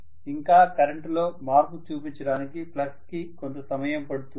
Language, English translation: Telugu, And it takes a little while for the flux to show up that change in the current